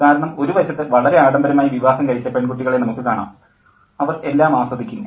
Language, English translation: Malayalam, Because on one hand, we have girls who are married off in a very luxurious manner and they enjoy everything